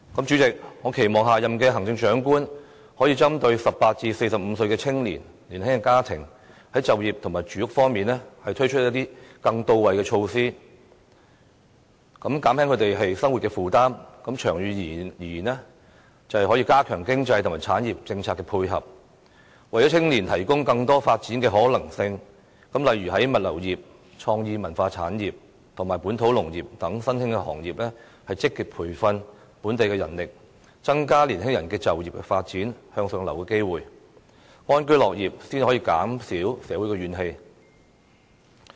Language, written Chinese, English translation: Cantonese, 主席，我期望下任行政長官可以針對18至45歲的青年及年輕家庭，在就業及住屋方面推出一些更到位的措施，減輕他們的生活負擔，長遠而言便可加強經濟及產業政策的配合，為青年提供更多發展的可能性，例如為物流業、創意文化產業及本土農業等新興行業，積極培訓本地人力，增加年輕人的就業發展、向上流動的機會，市民安居樂業才能減少社會的怨氣。, President I hope that the next Chief Executive can first introduce some really effective employment and housing policies specifically for young people aged between 18 and 45 and young families so as to relieve their livelihood burdens . Then in the long run the support from economic and industrial policies should be enhanced with a view to giving young people more avenues of development in various emergent industries like logistics creative and cultural industries and local agriculture . Besides the next Chief Executive should make active efforts to train up local talents so as to increase young peoples opportunities of career development and upward mobility